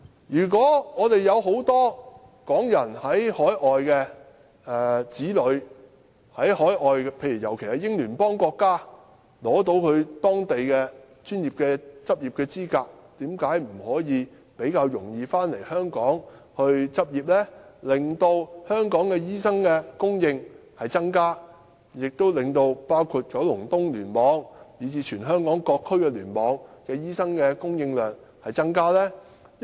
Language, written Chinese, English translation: Cantonese, 有很多港人在海外的子女，尤其是在英聯邦國家的，在取得當地的專業執業資格後，為甚麼不可以比較容易回港執業，以增加香港的醫生供應，從而令九龍東聯網，以至全香港各聯網的醫生供應量增加呢？, Many children of the people of Hong Kong who are studying overseas particularly in Commonwealth countries have obtained the qualification for local practice why can the authorities not make their practice in Hong Kong easier so as to increase the supply of doctors in Hong Kong as a whole thereby increasing the supply of doctors in KEC and other clusters in the territory?